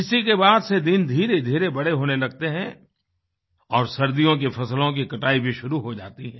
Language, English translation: Hindi, It is during this period that days begin to lengthen and the winter harvesting of our crops begins